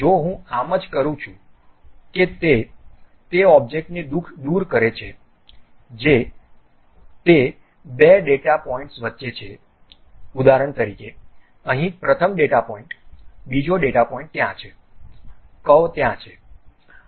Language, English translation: Gujarati, If I just do that it removes that object which is in between those two data points for example, here first data point second data point is there curve is there